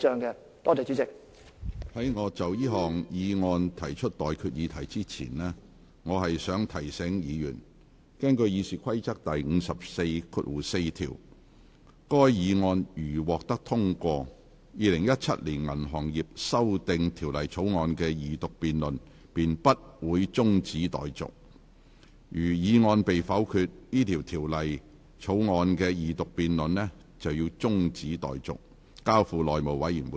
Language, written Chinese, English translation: Cantonese, 在我就這項議案提出待決議題之前，我想提醒議員，根據《議事規則》第544條，該議案如獲得通過，《2017年銀行業條例草案》的二讀辯論便不會中止待續；如議案被否決，《條例草案》的二讀辯論便會中止待續，而《條例草案》須交付內務委員會處理。, Before I put the question on this motion I would like to remind Members that according to RoP 544 if this motion is passed the Second Reading debate of the Banking Amendment Bill 2017 will not be adjourned; and if this motion is negatived the Second Reading debate of the Bill will be adjourned and the Bill will be referred to the House Committee